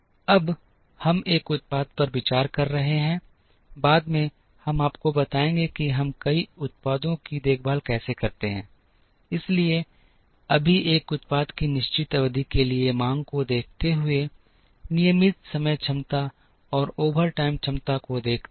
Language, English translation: Hindi, Now, we are assuming one product, later we will tell you how we take care of multiple products, so right now considering one product given the demand for a certain number of periods, given the regular time capacity and the overtime capacity